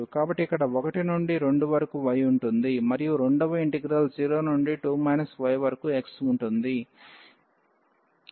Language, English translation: Telugu, So, here we have the y from 1 to 2 and the second integral x 0 to 2 minus y